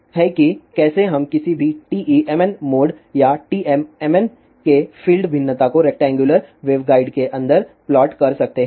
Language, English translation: Hindi, So, this is how we can plot the field variation of any TE mn mode or TM mn mode inside a rectangular waveguide